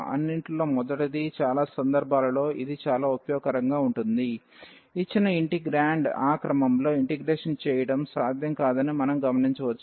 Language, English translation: Telugu, First of all this is very useful very convenient in many situations, when we observe that the given integrand is not possible to integrate in that given order